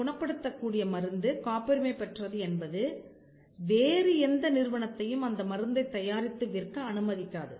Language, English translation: Tamil, The fact that the drug is patented will not allow any other entity to manufacture or to sell that drug